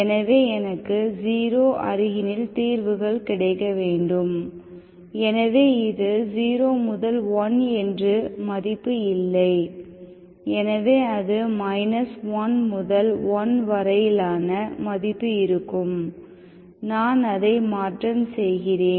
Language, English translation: Tamil, So I want solutions around 0, so now this is not 0 to 1, so it is going to be minus1 to1, I translate it